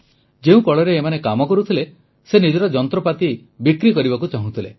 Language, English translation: Odia, The mill where they worked wanted to sell its machine too